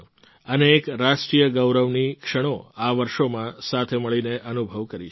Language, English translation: Gujarati, Together, we have experienced many moments of national pride in these years